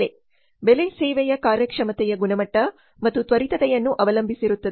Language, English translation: Kannada, The price depends on quality and quickness of the service performance